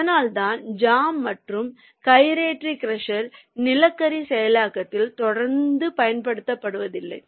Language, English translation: Tamil, thats why the jaw and gyratory crushes are not regularly used in coal processing